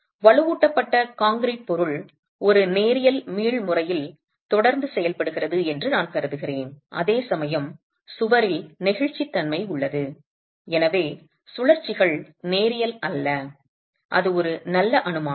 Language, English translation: Tamil, I am assuming that the reinforced concrete material is continuing to behave in a linear elastic manner, whereas the wall has inelasticity coming in, and so the rotations are non linear, and that's a fairly good assumption